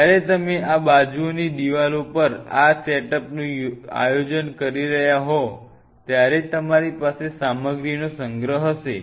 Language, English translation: Gujarati, While you are planning this setup on the walls of these sides you will have storage of materials